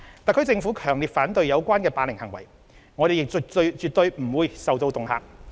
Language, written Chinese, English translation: Cantonese, 特區政府強烈反對有關的霸凌行為，我們亦絕對不會受到恫嚇。, The HKSAR Government strongly opposes to the bullying act and we will absolutely not be intimidated